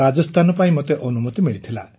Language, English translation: Odia, I got selected for Rajasthan